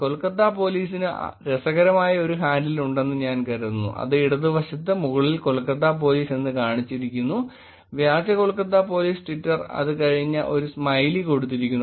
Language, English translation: Malayalam, I think Kolkata Police also there is a interesting handle which is on the second from the top on the left which says Kolkata Police, fake Kolkata Police twitter, and then a smiley